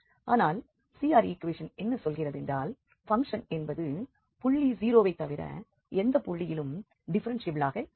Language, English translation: Tamil, But CR question says that function is cannot be differentiable at any other point than 0 and at 0 we have to check the differentiability